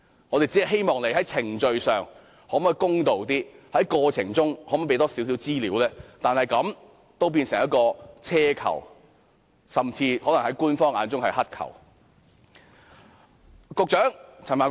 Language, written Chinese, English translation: Cantonese, 我們只是希望政府在程序上公道些，在過程中提供多些資料，但這樣也變成奢求，甚至在官方的眼中可能是乞求。, We only request the Government to make a greater effort to maintain procedural justice and release more information in the process but in the eyes of the officials this is an extravagant request or even a beg for alms